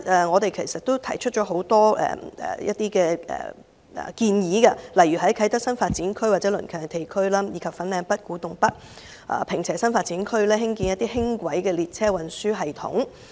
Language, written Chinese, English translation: Cantonese, 我們提出了很多建議，例如在啟德新發展區及鄰近地區，以及粉嶺北、古洞北、坪輋新發展區興建輕軌列車運輸連接系統。, We have put forth many proposals such as constructing light rail transit systems to connect the Kai Tak New Development Area and its nearby places and the new development areas of Fanling North Kwu Tung North and Ping Che